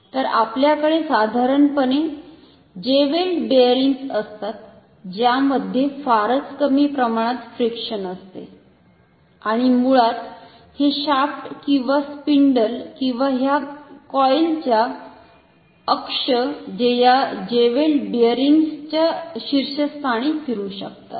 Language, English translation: Marathi, So, we have generally jeweled bearings with very little amount of frictions friction and this basically this is the shaft or the spindle or the axis of this coil which can rotate on top of this jeweled bearing